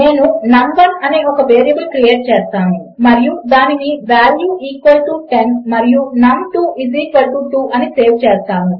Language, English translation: Telugu, Ill create a variable called num1 and Ill save that as value equal to 10 and num2 is equal to 2